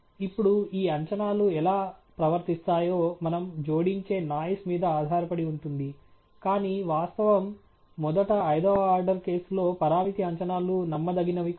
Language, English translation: Telugu, Now, how these predictions behave completely depend on the realization of the noise that we add, but the fact is, first of all, the parameter estimates are not reliable in the fifth order case